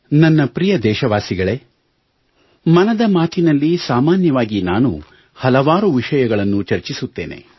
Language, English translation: Kannada, My dear countrymen, generally speaking, I touch upon varied subjects in Mann ki Baat